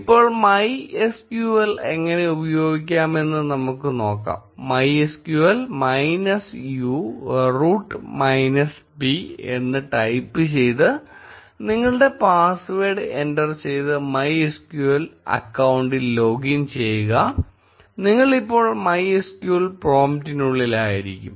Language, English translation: Malayalam, Log in to your MySQL account by typing MySQL minus u root minus p, enter your password and you will be inside the MySQL prompt